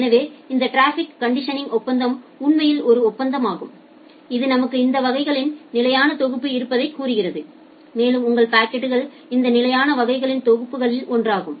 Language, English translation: Tamil, So, this traffic condition agreement actually is an agreement which says you that see I have this fixed set of classes and your packet will belong to one of these fixed set of classes